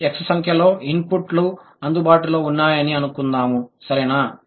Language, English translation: Telugu, Let's say there is some X number of inputs available